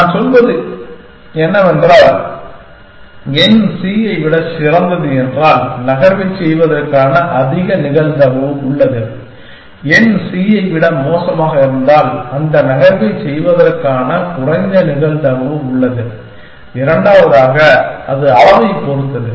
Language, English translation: Tamil, I am only saying that, if n is better than c then there is a greater probability of making the move, if n is worse than c, there is lesser probability of making that move and secondly, it depends on the magnitude